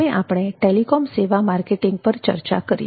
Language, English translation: Gujarati, next we come to telecom services marketing